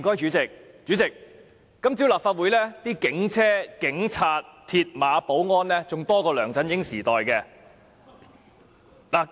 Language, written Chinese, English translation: Cantonese, 主席，今早立法會門外的警車、警察、鐵馬和保安人員較梁振英時代多。, President this morning the numbers of police cars police officers mills barriers and security guards outside the Legislative Complex are even greater than that during LEUNG Chun - yings era